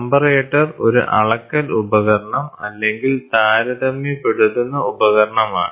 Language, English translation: Malayalam, Comparator, measurement device or a comparator device